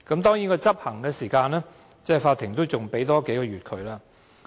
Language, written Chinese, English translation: Cantonese, 當然，在執行時間上，法庭給予政府數個月時限。, Certainly for the enforcement of the ruling the Court has granted a time limit of several months to the Government